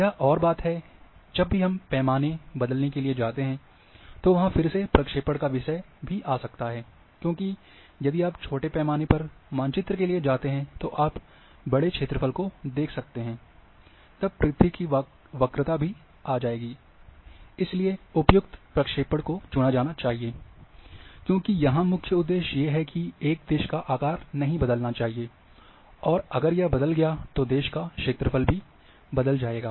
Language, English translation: Hindi, Another thing is that,when whenever we go to change in the scale then the again projection issues might also come there, because if you if you go for a smaller scale maps that, you are going to cover large area, and then curvature of earth will come, and therefore, appropriate projection has to be chosen, because the main aim here, the shape of a country should not change, because if it changes then your area of that country will also change